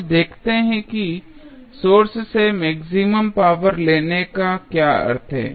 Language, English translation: Hindi, Now, let us see what is the meaning of drawing maximum power from the source